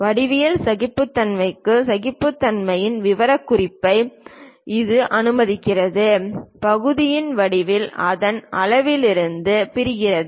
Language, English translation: Tamil, For geometric tolerancing it allows for specification of tolerance, for geometry of the part separate from its size